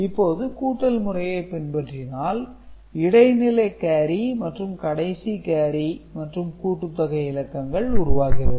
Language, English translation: Tamil, Now, if you perform the addition you can see what is happening intermediate carry and the final carry that will be generated and the sum bits